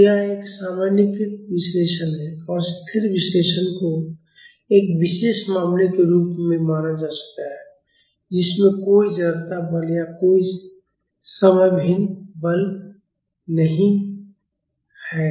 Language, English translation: Hindi, So, it is a generalized analysis and static analysis can be treated as a special case with no inertia force or no time varying force